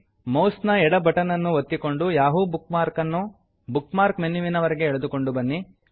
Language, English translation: Kannada, * Press the left mouse button, and drag the bookmark to the Bookmarks menu